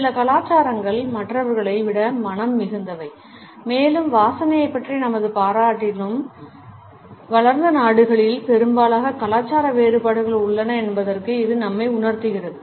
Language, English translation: Tamil, Some cultures are more smell conscious than others and it sensitizes us to the fact that in our appreciation of smells also, cultural variations do exist in most of the developed countries